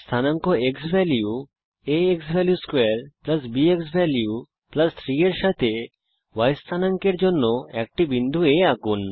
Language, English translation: Bengali, Plot a point A with coordinates xValue, a xValue^2 + b xValue + 3 for the y coordinate